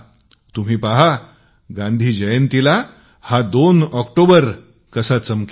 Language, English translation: Marathi, You will see how the Gandhi Jayanti of this 2nd October shines